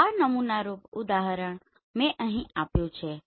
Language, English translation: Gujarati, This is sample example I have put here